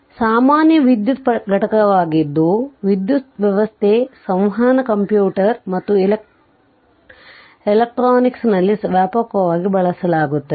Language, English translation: Kannada, So, capacitors are most common electrical component and are used extensively in your power system, communication computers and electronics